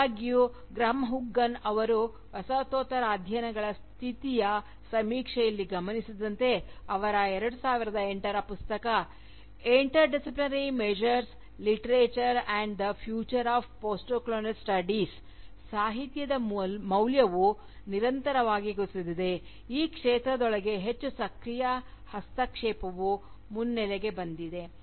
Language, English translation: Kannada, However, as Graham Huggan notes in his survey of the state of Postcolonial studies, in the introduction to his 2008 Book titled, Interdisciplinary Measures: Literature and the Future of Postcolonial Studies, the value of Literature, has consistently gone down, within this field, while more active intervention, has come to the foreground